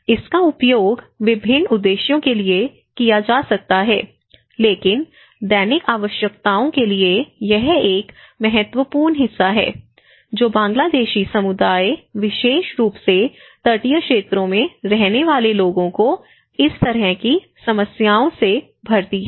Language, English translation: Hindi, It can be used for different purposes you know but for a daily needs, you know this is one of the important problem which the Bangladeshi community especially the people who are living in the coastal areas they have come across with this kind of problems